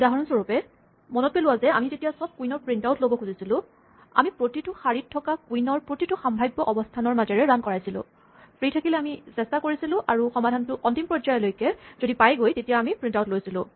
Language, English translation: Assamese, For instance, remember when we try to printout all the queens we ran through every possible position for every queen on every row, and if it was free then we tried it out and if the solution extended to a final case then we print it out